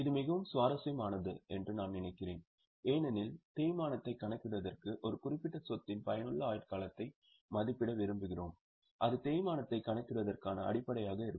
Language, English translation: Tamil, I think this is very interesting because for calculation of depreciation we have seen we want to estimate useful life of a particular asset and that will be the basis for calculation of depreciation